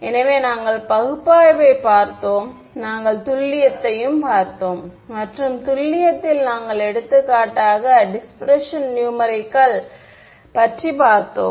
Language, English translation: Tamil, So, we looked at analysis, we looked at accuracy and in accuracy we looked at for example, dispersion numerical